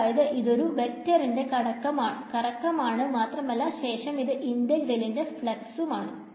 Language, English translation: Malayalam, So, it is the swirl of a vector field and after that the flux of that and then an integral ok